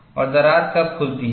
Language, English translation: Hindi, And, how does the crack open